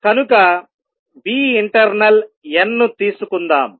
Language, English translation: Telugu, So, let us take nu internal n